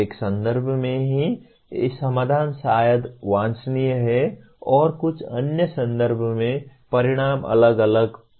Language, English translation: Hindi, Same solution in one context maybe desirable and the consequences in some other context it will be different